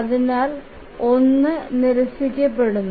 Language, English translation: Malayalam, So 1 is ruled out